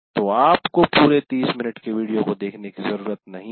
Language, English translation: Hindi, So you don't have to go through watching the entire 30 minute video